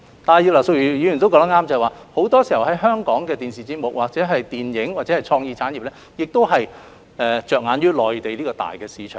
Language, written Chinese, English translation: Cantonese, 但是，葉劉淑儀議員亦說得對，香港的電視節目、電影或創意產業很多時候着眼於內地的龐大市場。, However Mrs Regina IP is also right to say that Hong Kongs TV and film sectors or creative sectors often have their eye on the huge Mainland market